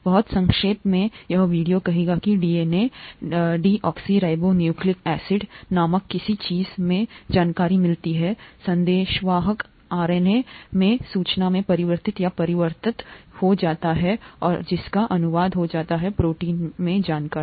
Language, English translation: Hindi, Very briefly speaking, this video will say that the information in something called the DNA, deoxyribonucleic acid, gets converted or transcribed to the information in the messenger RNA and that gets translated to the information in the proteins